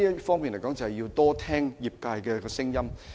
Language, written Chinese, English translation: Cantonese, 所以，政府要多聽業界的聲音。, So the Government should pay more heed to the views of the industry